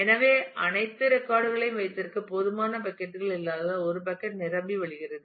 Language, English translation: Tamil, So, a bucket can overflow because there may not be enough sufficient buckets to keep all the records